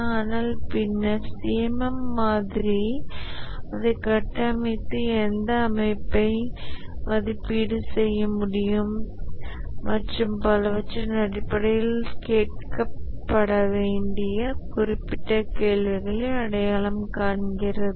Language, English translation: Tamil, But then the CMM model has structured it and identified the specific questions to be asked based on which an organization can be assessed and so on